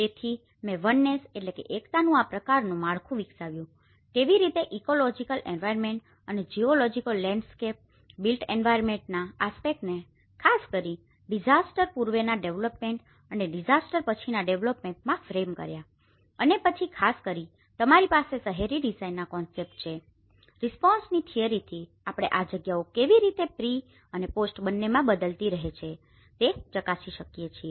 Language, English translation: Gujarati, So, I developed this kind of framework of oneness, how the ecological environment and the geographical landscape is framing the built environment aspect especially, in the pre disaster development and the post disaster development and then you have the concepts of urban design especially, the theory of respond how we can check this spaces how it is changing in both the pre and post